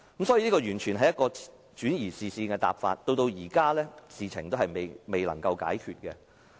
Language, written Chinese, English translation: Cantonese, 所以，這完全是一個轉移視線的答覆，直到現在，事情仍未解決。, Therefore the reply was entirely meant to divert attention and this matter remains not resolved so far